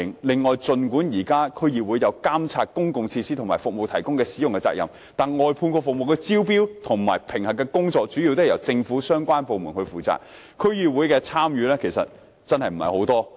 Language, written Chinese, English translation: Cantonese, 另外，儘管現時區議會有責任監察公共設施和服務的提供及使用，但外判服務的招標和評核工作主要由政府相關部門負責，區議會的參與其實並不多。, On the other hand although DCs are currently duty - bound to supervise the provision and use of public facilities and services their participation is actually not substantial because the tendering and assessment of outsourced services is responsible mainly by relevant government departments